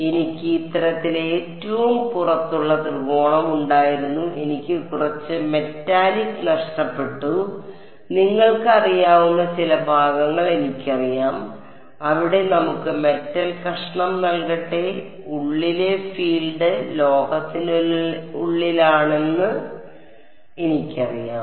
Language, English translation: Malayalam, So, I had the outermost triangle like this and I had some missing metallic you know some part where I know let us have metal piece I know the field inside is inside the metal is